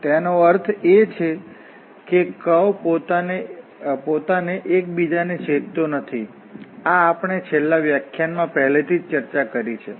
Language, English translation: Gujarati, That means the curve does not intersect itself, this we have already discussed in the last lecture